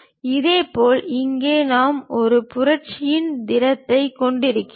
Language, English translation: Tamil, Similarly, here we have solid of revolution